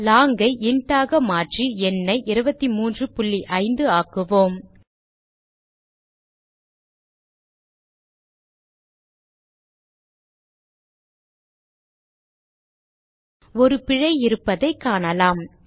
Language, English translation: Tamil, Change long to int and change the number to 23.5 As we can see, there is an error